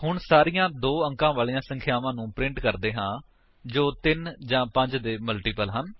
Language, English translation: Punjabi, Now, let us print all the 2 digit numbers that are multiples of 3 or 5